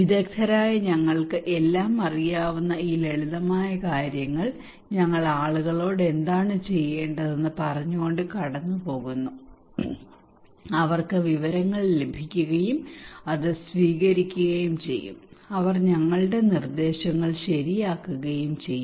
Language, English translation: Malayalam, These simple things that we experts know everything and we are passing telling the people what to do and they just get the informations, receive it, and they will follow our instructions okay